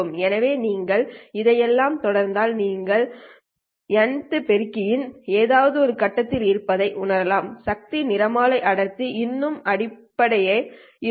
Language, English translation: Tamil, So if you continue all this and recognize that you are at some point on the nth amplifier stage, the power spectral density is still the same